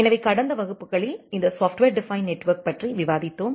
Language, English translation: Tamil, So, in the last classes we are discussing about this software defined networking concept